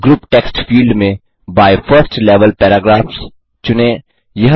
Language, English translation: Hindi, In the Group text field, select By 1st level paragraphs